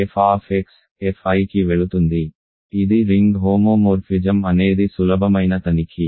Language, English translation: Telugu, f x goes to f i, this is a ring homomorphism is an is easy check